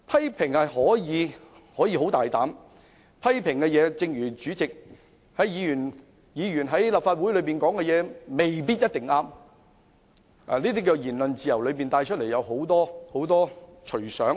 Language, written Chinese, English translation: Cantonese, 議員可以作出很大膽的批評，但正如主席也說議員在立法會的發言未必一定正確，言論自由引申出來的，可以是很多隨想。, Members can make bold criticisms but as pointed out by the President the remarks made by Members in the Legislative Council may not necessarily be correct . The freedom of speech may give rise to a free flow of ideas